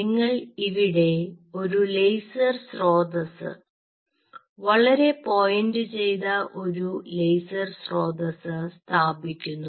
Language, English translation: Malayalam, you place a laser source here, a very pointed laser source, we and a very benign laser source